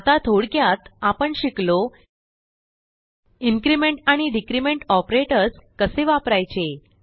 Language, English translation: Marathi, In this tutorial we learnt, How to use the increment and decrement operators